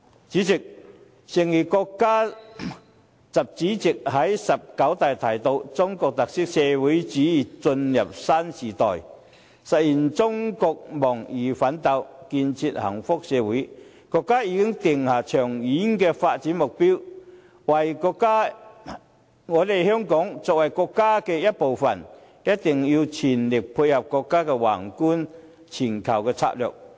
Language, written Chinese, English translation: Cantonese, 主席，誠如國家主席習近平在"十九大"提到，"中國特色社會主義進入新時代，實現中國夢奮鬥，建設幸福社會"，國家已經定下長遠的發展目標，香港作為國家的一部分，一定要全力配合國家宏觀的全球策略。, President just as President XI Jinping said during the 19 National Congress of the Communist Party of China Socialism with Chinese characteristics is entering a new era and China is realizing the China Dream and building a society of happiness . China has set the goal for long - term development . Hong Kong as a part of China should fully dovetail with the countrys macro strategy of reaching out to the world